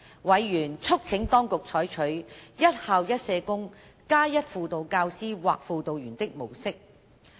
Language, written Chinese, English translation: Cantonese, 委員促請當局採取"一校一社工加一輔導教師或輔導員"的模式。, Members called on the Administration to adopt a one social worker plus one SGTSGP service mode in each primary school